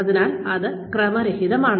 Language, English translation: Malayalam, So, that is random